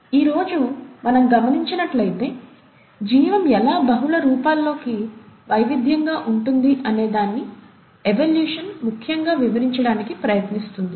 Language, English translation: Telugu, Evolution essentially tries to explain, how life must have diversified into multiple forms as we see them today